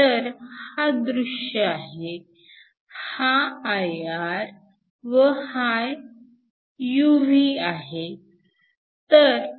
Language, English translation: Marathi, 8, so is visible this IR, this is UV